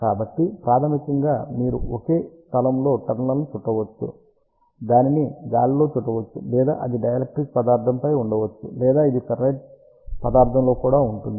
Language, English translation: Telugu, So, basically you can rap at the same place number of turns, it can be wrapped in the air or it can be on the dielectric material or it can be on a ferrite material also